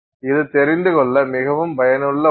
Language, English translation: Tamil, And this is something that is very useful to know